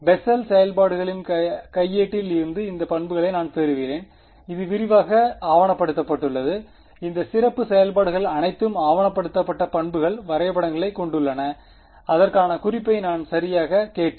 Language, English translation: Tamil, I get these properties from the handbook of Bessel functions this is extensively documented all these special functions have very well documented properties graphs and all I will include a reference to it right